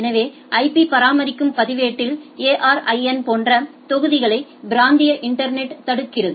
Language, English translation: Tamil, So, registry which maintains the IP blocks regional internet registry like ARIN